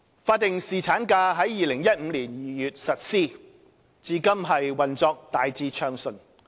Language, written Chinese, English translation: Cantonese, 法定侍產假於2015年2月實施，至今運作大致暢順。, The implementation of statutory paternity leave has been generally smooth since its introduction in February 2015